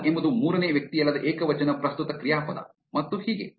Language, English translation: Kannada, open is a non third person singular present verb and so on